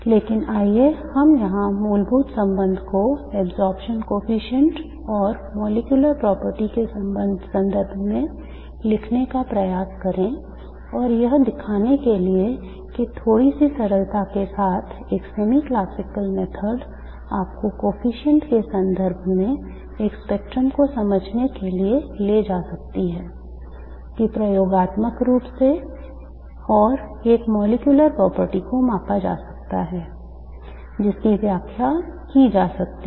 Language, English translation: Hindi, But let us try and simply write the fundamental relation here in terms of the absorption coefficient and the molecular property to show that a semi classical method with a little bit of ingenuity can take you far in understanding a spectrum in terms of a coefficient that can be measured experimentally and a molecular property which can be interpreted